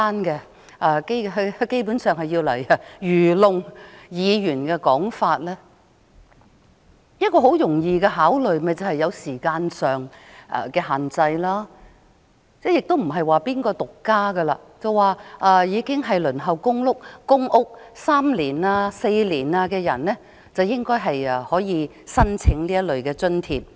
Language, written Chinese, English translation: Cantonese, 基本上，這是愚弄議員的說法，其實政府只需稍作考慮，便會知道可以設定時限，而且只有那些已輪候公屋3年或4年的人才可以申請這類津貼。, Basically this is just something said to fool Members . In fact if the Government cares to give it some thought it will know that a time limit can be set . Moreover only those people who have waited for public rental housing PRH for three or four years can apply for this kind of allowance